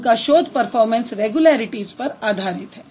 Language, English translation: Hindi, So, he would primarily focus on the performance regularities